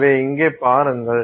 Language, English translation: Tamil, So, that is here